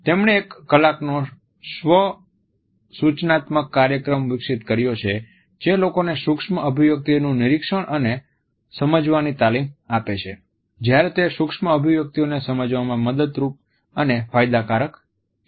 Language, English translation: Gujarati, He had developed an one hour self instructional program that trains people to observe and understand micro expressions; whereas it is helpful and beneficial to be able to understand micro expressions